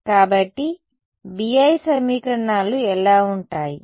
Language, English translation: Telugu, So, what will the BI equations look like